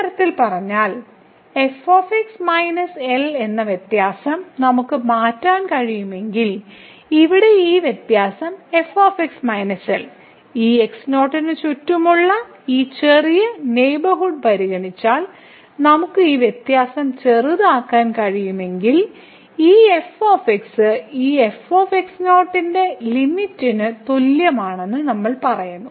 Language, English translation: Malayalam, So, in other words, if we can make the difference this minus , this difference here minus ; if we can make this difference as a small, as we like by considering a small neighborhood around this naught, then we say that this is equal to the limit of this ; is goes to naught is